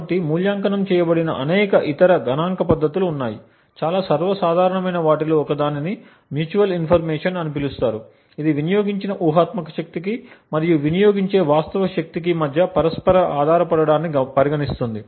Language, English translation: Telugu, So, there are various other statistical techniques which have been evaluated, one of the most common things is known as the mutual information which essentially quantifies the mutual dependence between the hypothetical power consumed and the real power consumed